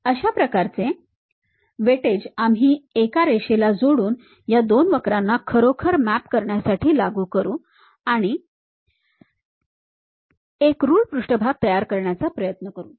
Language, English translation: Marathi, That kind of weightage we will apply to really map these two curves by joining a line and try to construct a ruled surface